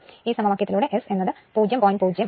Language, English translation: Malayalam, So, this is S is 0